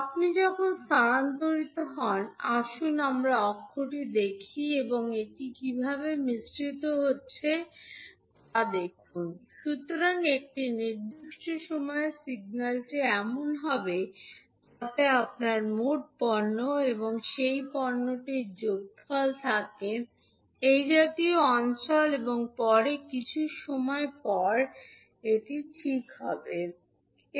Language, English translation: Bengali, So when you shift, let us take the axis and see how it is getting mixed, so at one particular time the signal would be like this so you will have total product and the sum of those product which is the area like this and then after some time this will become like this, right